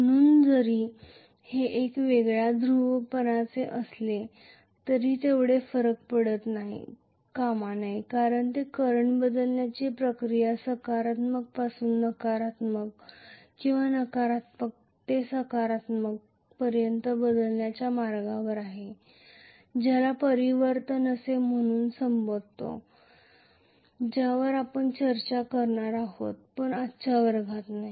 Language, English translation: Marathi, So even if they are of kind of opposite polarity it should not matter so much because they are anyway on the verge of changing this process of changing the current from positive to negative, or negative to positive we call that as commutation which we will discuss in detail at the later class not today